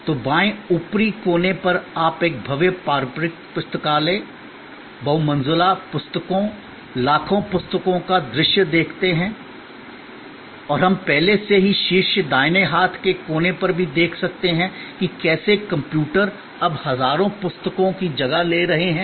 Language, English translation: Hindi, So, on the left upper corner you see the view of a grand traditional library, multi storied, millions of books and we can also already see on the top right hand corner, how computers are now replacing thousands of books